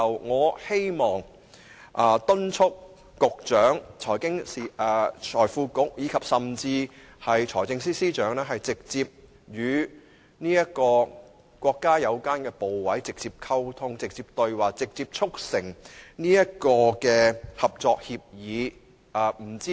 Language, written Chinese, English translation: Cantonese, 我促請局長甚至是財政司司長與國家有關部委直接溝通，直接對話，直接促成合作協議。, I urge the Secretary and even the Financial Secretary to strike up direct communication and dialogue with the relevant ministries and commissions of the country so as to forge a cooperation agreement straightaway